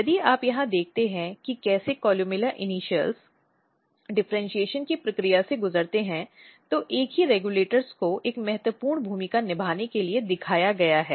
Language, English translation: Hindi, If you look here how columella initials undergo the process of differentiation the same regulators has been shown to play very very important role